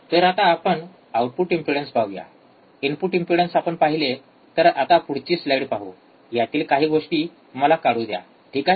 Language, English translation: Marathi, So now let us see the output impedance, input impedance we have seen now let us see the next slide, next slide let me just remove these things ok